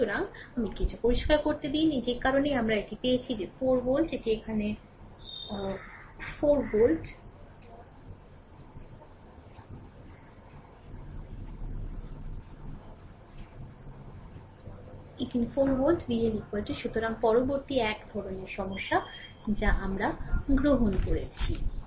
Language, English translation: Bengali, So, let me clear it; So, that is that is why this is we have got that 4 volt right, here it is here it is 4 volt right V L is equal to so, next one varieties of problem we have taken